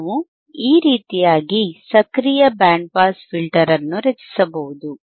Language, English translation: Kannada, We can design a passive band pass filter